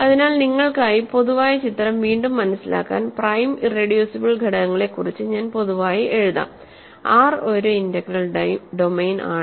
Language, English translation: Malayalam, So, just to recap the general picture for you, I will write in general regarding prime and irreducible elements, R is an integral domain, R is an integral domain